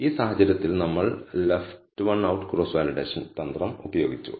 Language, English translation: Malayalam, In this case, we have used left Leave One Out Cross Validation strategy